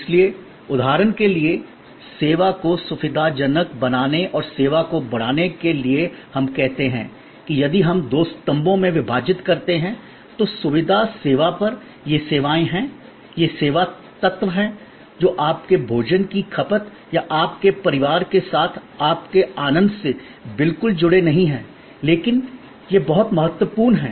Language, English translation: Hindi, So, let say for example, facilitating service and enhancing services if we divide in two columns, then on the facilitating service, these are services, these are service elements, which are not exactly connected to your consumption of food or your enjoyment with your family, but these are very important